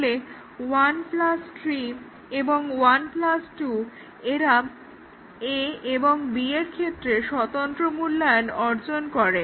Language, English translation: Bengali, So, 1 3; 1 plus 3 and 1 plus 2, they achieve the independent evaluation of a and b